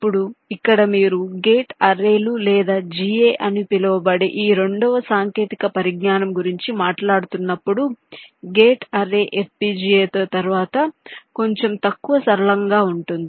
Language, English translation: Telugu, now now here, when you talking about this second technology called gate arrays or ga, gate array will be little less flexible then fpga, but its speed will be a little higher